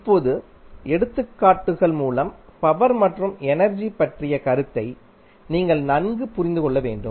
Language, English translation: Tamil, Now, let us take examples so that you can better understand the concept of power and energy